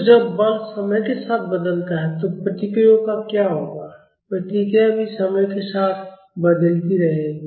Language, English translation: Hindi, So, what will happen to the responses when the force varies with time, the responses will also vary with time